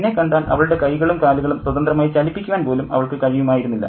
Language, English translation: Malayalam, If she sees me, she won't be able to throw her arms and legs around so freely